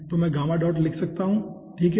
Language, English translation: Hindi, so let us see over here